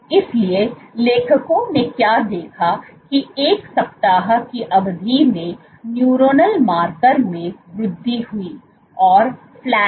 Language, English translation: Hindi, So, what does authors observed was neuronal marker increased in a span of 1 week and stayed flat